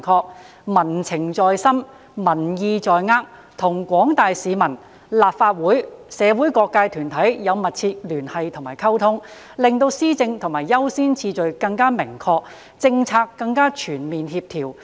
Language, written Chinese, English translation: Cantonese, 政府須民情在心，民意在握，與廣大市民、立法會、社會各界團體有密切的聯繫和溝通，令施政的優先次序更明確，政策更加全面協調。, We need to feel the pulse of the community understand community sentiment and strengthen liaison and communication with the Legislative Council different sectors of the community and the general public . We need to improve the prioritising of the Governments agenda as well as overall policy co - ordination